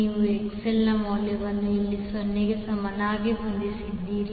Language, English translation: Kannada, You set the value of XL is equal to 0 here